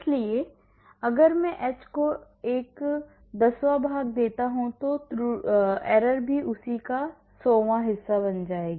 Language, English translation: Hindi, So, if I divide h one tenth then error also will become one hundredth of that